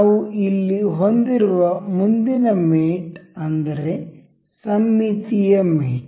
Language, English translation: Kannada, So, for the next one that we have here is symmetric mate